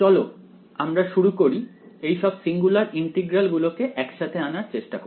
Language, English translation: Bengali, So, let us start with trying to put all these singular integrals to work over here